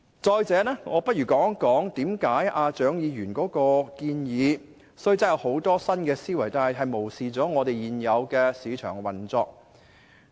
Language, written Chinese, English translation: Cantonese, 再者，讓我談談為何蔣議員的建議即使展現出很多新思維，但卻漠視了現有的市場運作。, Moreover let me talk about why Dr CHIANGs motion while demonstrating a variety of new perspectives has overlooked the current market operation